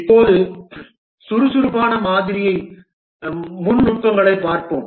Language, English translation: Tamil, Let's look at more details of the agile model